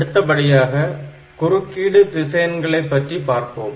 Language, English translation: Tamil, Now, so these are the interrupt vector location